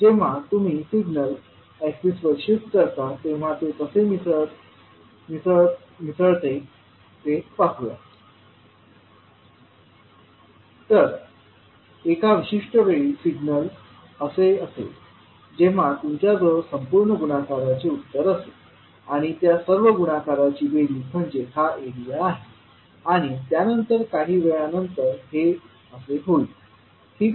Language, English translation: Marathi, So when you shift, let us take the axis and see how it is getting mixed, so at one particular time the signal would be like this so you will have total product and the sum of those product which is the area like this and then after some time this will become like this, right